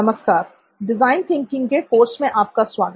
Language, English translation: Hindi, Hello and welcome back to design thinking course